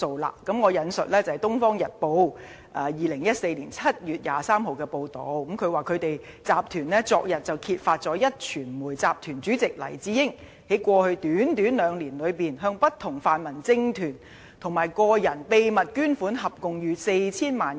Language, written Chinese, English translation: Cantonese, 讓我引述《東方日報》於2014年7月23日的報道，當中指"集團昨日揭發壹傳媒集團主席黎智英，在過去短短兩年多內，向不同泛民政團及個人秘密捐款合共逾 4,000 萬元。, Let me quote the new reports of Oriental Daily News dated 23 July 2014 which said that Yesterday our Group revealed that Jimmy LAI Chairman of Next Media Group had within a short period of two - odd years given out secret donations totalling more than 40 million to various pan - democratic political groups or individuals